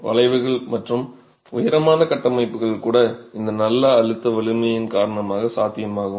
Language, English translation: Tamil, We saw the arches and even tall structures are possible because of this good compressive strength of the material itself